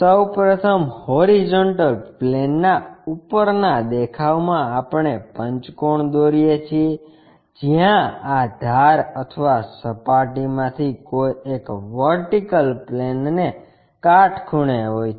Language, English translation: Gujarati, First of all, in the top view on the horizontal plane we draw a pentagon, where one of this edge or surface is perpendicular to vertical plane